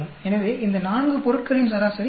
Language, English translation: Tamil, 25 is the average of these four items, 19 this is 19